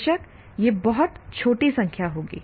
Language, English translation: Hindi, Of course, that will be very small number